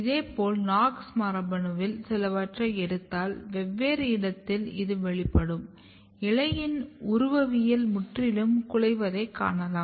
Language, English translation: Tamil, Similarly, if you take some of this KNOX gene and if you ectopically over expressed you can see that leaf morphology is totally disturbed